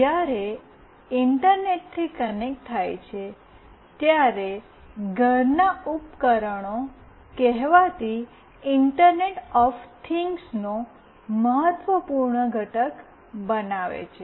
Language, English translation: Gujarati, When connected to Internet, the home devices form an important constituent of the so called internet of things